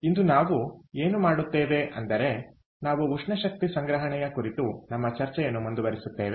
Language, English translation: Kannada, today what we will do is we will continue our discussion on thermal energy storage